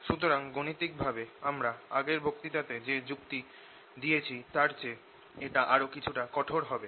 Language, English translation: Bengali, so we are going to be mathematical, little more rigorous than the arguments that we gave in the previous lecture